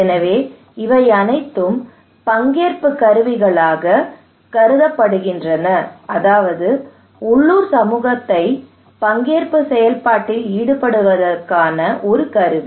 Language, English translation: Tamil, So these all are considered to be participatory tools, that means a tool to involve local community into the participatory process